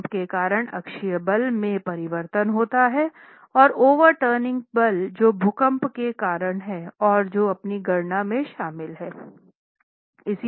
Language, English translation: Hindi, There is a change in the axial force due to the earthquake force and the overturning moment caused by the earthquake force and that has to be accounted for in your calculations